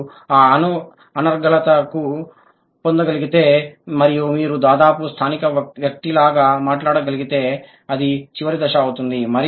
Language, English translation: Telugu, If you could acquire that fluency and you are able to speak almost like a native speaker, then it is going to be the final stage